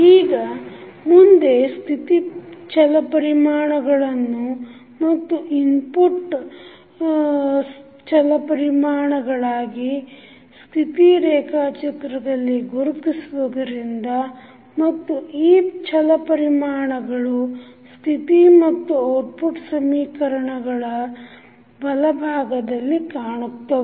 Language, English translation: Kannada, Now, next we will identify the state variables and the inputs as input variable on the state diagram and these variables are found on the right side on the state as well as output equations